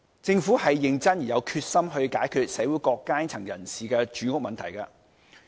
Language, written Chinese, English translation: Cantonese, 政府是認真而有決心去解決社會各階層人士的住屋問題的。, The Government is serious and determined in resolving the housing problem which concerns people from all walks of life